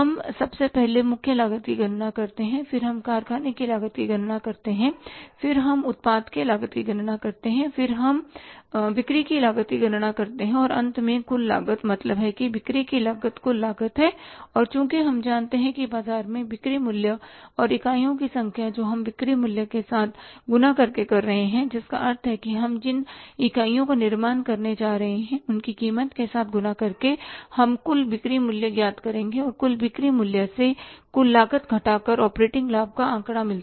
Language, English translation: Hindi, So we have seen that for arriving at the total cost by preparing a statement of the cost, we first of all calculate the prime cost, then we calculate the factory cost, then we calculate the cost of production, and then we calculate the cost of sales and finally the total cost means the cost of sales is the total cost and since we know the selling price in the market and the number of units we are multiplying with the selling price which is the number of unit which we are going to manufacture multiplying with the price we get the total sales value total sales minus total cost gives us the figure of operating profit so it means though we have learned about how to prepare the cost sheet is not the subject of the say management accounting